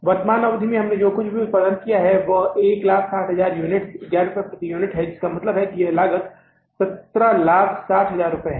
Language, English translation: Hindi, The total production we have done in the present period is 160,000 units at rupees 11 per unit